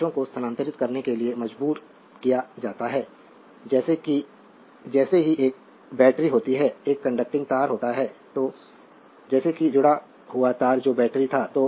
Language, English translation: Hindi, The charges are compelled to move so, as soon as a, you know battery is there a conducting wire is there so, as soon as the connected the wire that was the battery